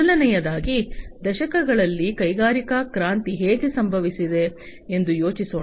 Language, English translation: Kannada, So, first of all let us think about, how the industrial revolution has happened over the decades